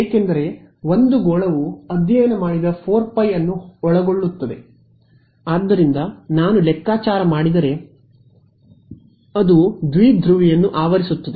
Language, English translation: Kannada, Because a sphere encompasses the entire 4 pi studied in, so, the power if I calculate because it encloses the dipole